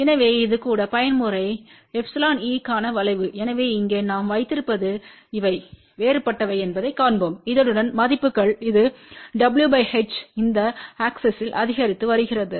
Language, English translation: Tamil, So, this is the curve for even mode epsilon e , so what we have here let us see these are the different values along this it is w by h is increasing along this axes